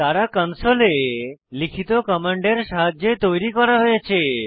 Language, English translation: Bengali, They were created with the help of script commands written on the console